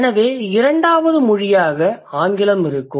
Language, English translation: Tamil, Second language is English